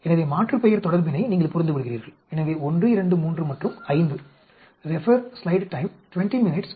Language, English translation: Tamil, So, you understand the aliasing relationship, so 1, 2, 3 and 5